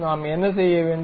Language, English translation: Tamil, What we have to do